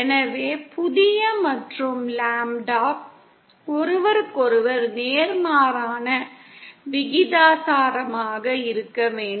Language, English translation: Tamil, So new and lambda should be inversely proportional to each other